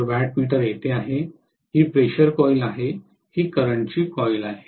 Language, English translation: Marathi, So wattmeter is here, this is the pressure coil, this is the current coil okay